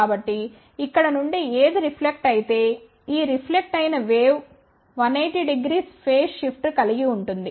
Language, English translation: Telugu, So, whatever is reflected from here this reflected wave will have a 180 degree phase shift so reflected wave will get cancelled